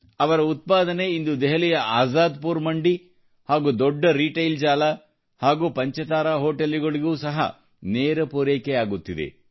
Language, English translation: Kannada, Their produce is being supplied directly to Azadpur Mandi, Delhi, Big Retail Chains and Five Star Hotels